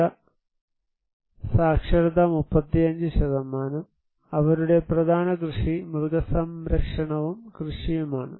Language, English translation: Malayalam, 5, literacy was 35%, their main occupation is animal husbandry and agriculture